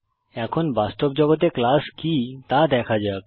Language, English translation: Bengali, Now let us see what is a class in real world